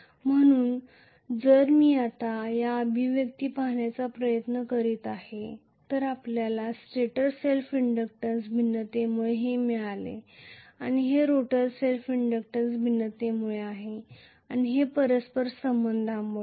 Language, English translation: Marathi, So, if I trying to look at the expression now what we got this is due to stator self inductance variation and this is due to rotor self inductance variation and this is due to mutual